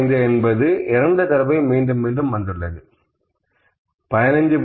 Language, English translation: Tamil, 05 is repeating 2 number of times, 15